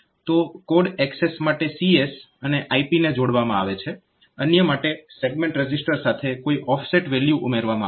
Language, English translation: Gujarati, So, for program access the code access, so this CS and IP, so those two will be added for others some offset value will be added with the other segment registers